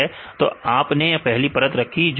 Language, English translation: Hindi, So, you put layer one